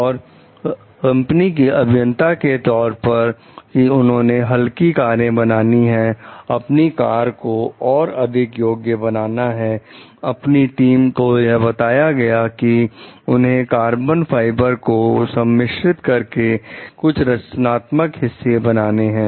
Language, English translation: Hindi, As a part of the company s drive to make cars lighter and more efficient your car your team is directed to make some of the structural members out of carbon fiber composites